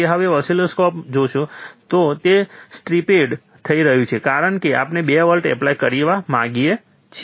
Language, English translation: Gujarati, So, if you see in the oscilloscope, it is stripped, that is the reason that we want to apply 2 volts